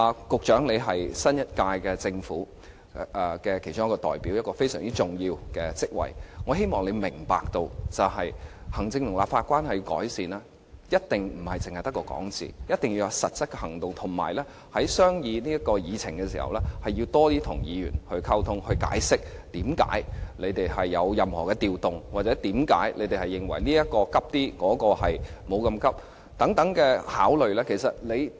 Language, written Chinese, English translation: Cantonese, 局長是新一屆政府的其中一位代表，擔任一個非常重要的職位，我希望你明白，要改善行政立法關係，一定不能只說，一定要有實質行動，以及在商議議程的時候，要多些與議員溝通，解釋為何政府有任何改動，或為何他們認為某項目較急切、另一項目可以暫緩處理等。, The Secretary is one of the representatives of the incumbent Government and he holds a very important position . I hope he will understand that to improve the executive - legislature relationship one must not just talk but also take practical actions . When discussing the agenda he must communicate more with Members explaining to them why the Government needs to make certain changes or why it thinks a certain item needs to be given priority over another